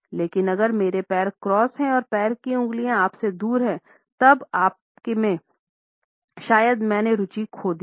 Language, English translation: Hindi, But if you notice that I cross my legs so that my top toe is pointed away from you; then you have probably lost my interest